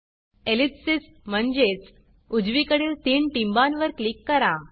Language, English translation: Marathi, Click the ellipsis (...) or the three dots on the right side